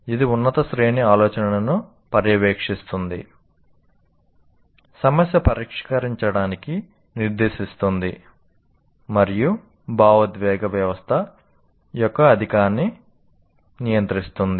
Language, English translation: Telugu, It monitors higher order thinking, directs problem solving and regulates the excess of emotional system